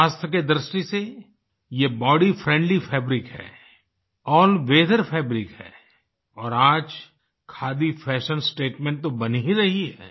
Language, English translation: Hindi, In terms of health, this is a body friendly fabric, an all weather fabric and now it has also become a fashion statement